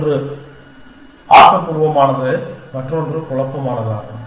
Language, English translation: Tamil, One is constructive and the other is perturbative